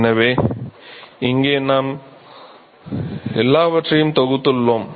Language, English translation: Tamil, So, here we have lumped everything